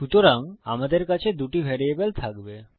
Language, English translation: Bengali, So, I will have 2 variables